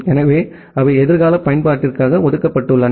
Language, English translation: Tamil, So, they are reserved for future use